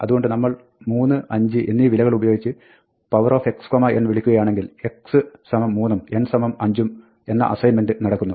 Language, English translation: Malayalam, So, when we say power x n, and we call it values with 3 and 5, then we have this assignment x equal to 3 and n equal to 5